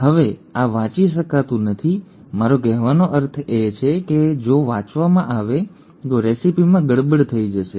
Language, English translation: Gujarati, Now this cannot be read, I mean completely, if this is read, the recipe will get messed up